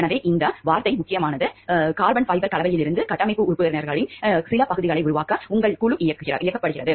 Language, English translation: Tamil, So, this word is important your team is directed to make some of the parts of the structural members out of carbon fiber composites